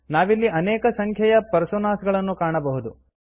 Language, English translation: Kannada, We see a large number of personas here